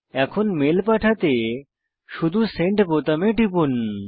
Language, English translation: Bengali, Now, to send the mail, simply click on the Send button